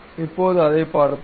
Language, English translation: Tamil, Now, let us look at it